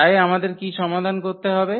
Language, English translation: Bengali, So, what we need to solve